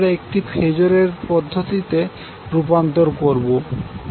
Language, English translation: Bengali, We convert it to phasor format that is 47